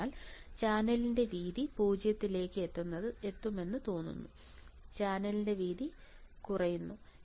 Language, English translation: Malayalam, So, width of channel looks like is reach to 0, width of channel it goes on decreasing